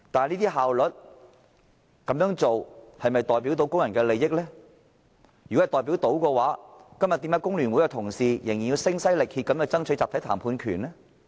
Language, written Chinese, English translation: Cantonese, 如果效率可以凌駕工人的利益，為何今天工聯會的同事仍然要聲嘶力竭地爭取集體談判權呢？, If efficiency can override labour interest why do colleagues in FTU still have to shout themselves hoarse to fight for the right to collective bargaining now?